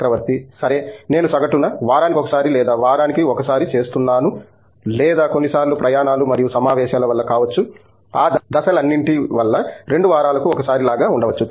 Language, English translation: Telugu, Well, I have been on an average doing like once a week or so and once a week or may be sometimes because of travels and conferences and all that steps may be like once in two weeks